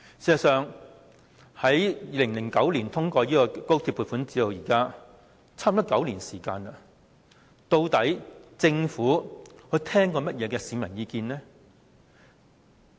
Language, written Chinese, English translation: Cantonese, 事實上，在2009年通過高鐵撥款至今差不多9年，究竟政府曾聽取過市民甚麼意見呢？, In fact it has been almost nine years since the XRLs funding proposal was passed in 2009 . What kind of public opinions has the Government listened to?